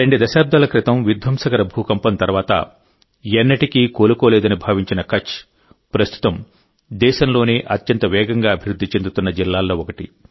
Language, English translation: Telugu, Kutch, was once termed as never to be able to recover after the devastating earthquake two decades ago… Today, the same district is one of the fastest growing districts of the country